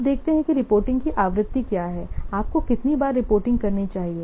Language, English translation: Hindi, Now let's see what is the frequency of reporting